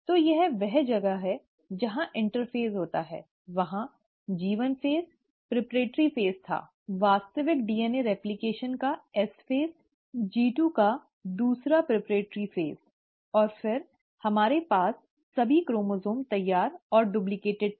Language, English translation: Hindi, So this is where the interphase happens, there was a G1 phase, the preparatory phase, the S phase of actual DNA replication, the second preparatory phase of G2, and then, we had all the chromosomes ready and duplicated